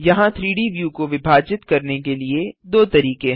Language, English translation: Hindi, There are two ways to divide the 3D view